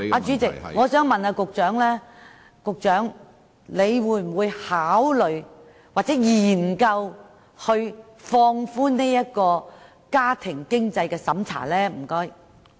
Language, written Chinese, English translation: Cantonese, 主席，我想問局長會否考慮或研究放寬家庭經濟審查？, President may I ask the Secretary whether he will consider or study relaxing the household - based means test